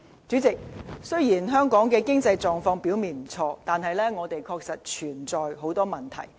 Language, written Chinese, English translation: Cantonese, 主席，雖然香港的經濟狀況表面不錯，但是，我們的確有很多隱憂。, President despite a good economy on the surface Hong Kong is troubled by many problems in fact